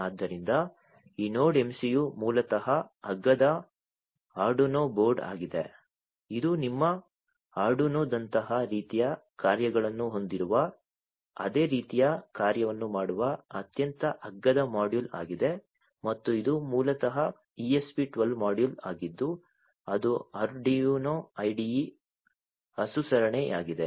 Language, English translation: Kannada, So, this Node MCU is basically a cheap Arduino board you know you can think of that way it is a very cheaper module which does similar kind of function which has similar kind of functionalities like your Arduino and it is basically an ESP 12 module which is compliant with the Arduino IDE